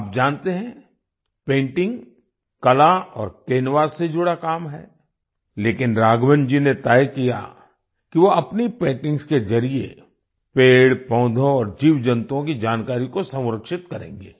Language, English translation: Hindi, You know, painting is a work related to art and canvas, but Raghavan ji decided that he would preserve the information about plants and animals through his paintings